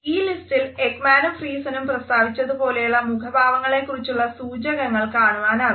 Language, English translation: Malayalam, In this list we find that there are cues for facial expressions as suggested by Ekman and Friesen